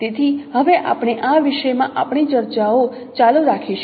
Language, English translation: Gujarati, So now we will continue our discussions for the this topic